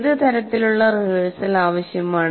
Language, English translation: Malayalam, What kind of rehearsal is required